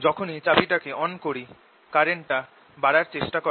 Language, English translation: Bengali, as soon as i turn this key on, the current tries to increase